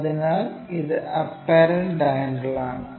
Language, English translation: Malayalam, So, this is the apparent angle